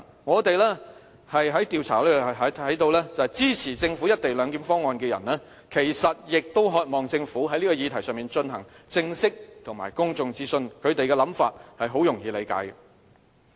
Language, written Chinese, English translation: Cantonese, 我們在進行調查時看到支持政府"一地兩檢"方案的人其實亦渴望政府在這議題上進行正式和公眾諮詢，他們的想法很容易理解。, We observe from the survey results that many respondents who support the Governments co - location proposal are also keen to see the Governments launching of a formal public consultation on the topic